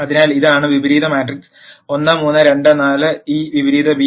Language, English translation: Malayalam, So, this is A inverse matrix 1 3 2 4, this inverse b